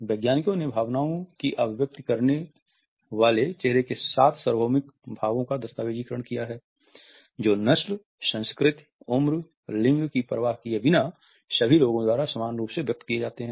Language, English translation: Hindi, Scientists have documented seven universal facial expressions of emotion that are expressed similarly by all people regardless of race, culture, age or gender